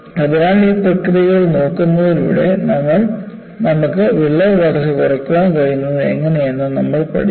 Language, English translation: Malayalam, So, by looking at these processes, we also learned in what way, you could minimize crack growth by these mechanisms